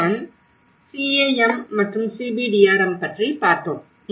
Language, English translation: Tamil, That is where the CAM and CBDRM